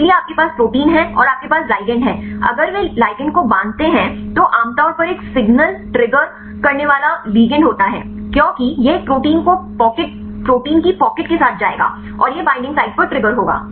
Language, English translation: Hindi, So, you have protein and you have ligand, the if they binds the ligand is usually a signal triggering molecule, because this will go and attach with a pocket in a protein right and this will trigger right at the binding site